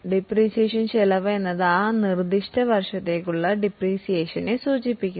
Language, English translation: Malayalam, Depreciation expense refers to the depreciation for that particular year